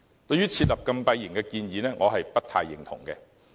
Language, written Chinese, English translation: Cantonese, 對於設立禁閉營的建議，我不太認同。, I beg to differ with the proposal of establishing closed holding centres